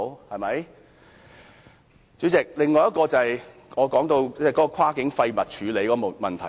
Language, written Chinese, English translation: Cantonese, 代理主席，另一點是跨境廢物處理的問題。, Deputy President the second point is about cross - boundary waste disposal